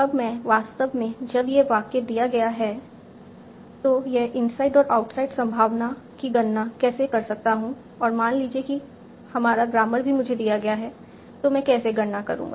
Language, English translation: Hindi, Now how do I actually compute this inside and outside probability given this sentence and suppose the grammar is also given to me